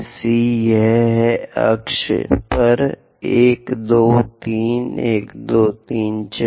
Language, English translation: Hindi, So, C to 1, let us draw it 1, 2, 3, 4